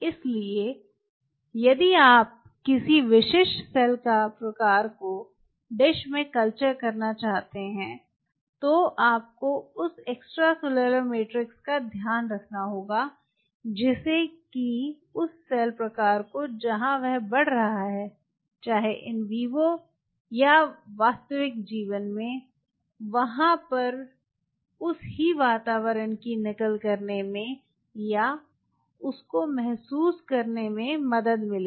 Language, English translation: Hindi, so if you have to culture a specific cell type in a dish, you have to have a idea about the extracellular matrix, what or which will help that cell type to mimic or to feel [vocalized noise] much of the same environment where it is growing in vivo or in real life [vocalized noise]